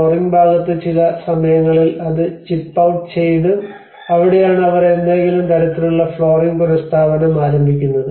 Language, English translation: Malayalam, And on the flooring part you know because there has been some times, it has been chipped out so that is where they start making some kind of flooring restoration has been done